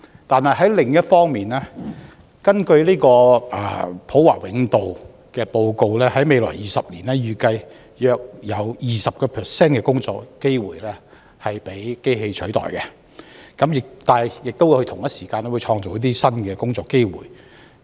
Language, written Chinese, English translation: Cantonese, 但另一方面，根據普華永道的報告，在未來20年，預計約有 20% 的工作機會將被機器取代，但同時亦會創造新的工作機會。, But on the other hand a report produced by PricewaterhouseCoopers finds that in the coming 20 years it is expected that some 20 % of the job opportunities will be replaced by robots but at the same time new job opportunities will be created